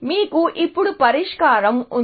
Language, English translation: Telugu, So, you have the solution now